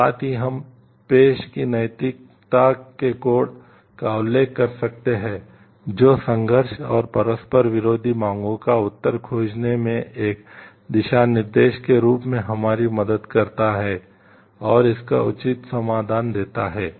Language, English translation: Hindi, And also we can refer to the codes of ethics of the profession which helps us as a guideline to find an answer to the conflict and conflicting demands and give a proper solution to it